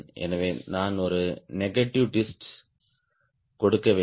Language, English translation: Tamil, so i have to give a negative twist